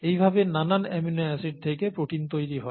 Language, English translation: Bengali, This is how a protein gets made from the various amino acids